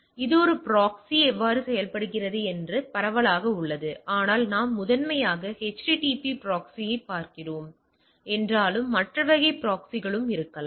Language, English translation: Tamil, So, this is broadly the how a proxy works, but it though we are primarily looking at the HTTP proxy there can be other type of proxy also, right